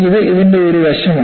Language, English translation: Malayalam, This is one aspect of this